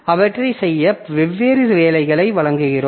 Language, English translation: Tamil, So, we give different jobs to them